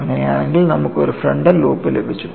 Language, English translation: Malayalam, So, in that case you got a frontal loop